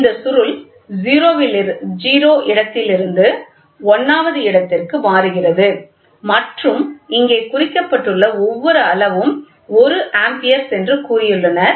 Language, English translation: Tamil, So, this coil swings from 0th position to the 1th position, right and here they have said what is the each scale one the total reading is 1 Amperes